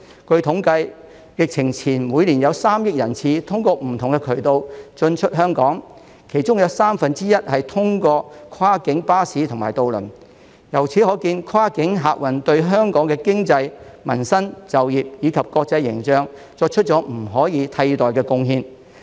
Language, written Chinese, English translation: Cantonese, 據統計，疫情前每年約有3億人次通過不同渠道進出香港，其中有三分之一是通過跨境巴士和渡輪；由此可見，跨境客運業對香港的經濟、民生、就業，以及國際形象作出了不可以替代的貢獻。, According to statistics about 300 million passenger trips were made to and from Hong Kong each year through various channels before the epidemic with one third of them being made via cross - border buses and ferries . It is thus clear that the cross - border passenger transport industry has made irreplaceable contributions to Hong Kongs economy livelihood employment and international image . Cross - border passenger transport has been suspended for almost a year and a half